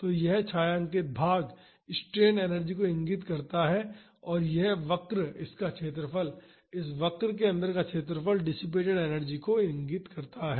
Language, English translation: Hindi, So, this shaded portion indicates the strain energy and this curve the area of this, area inside this curve indicates the energy dissipated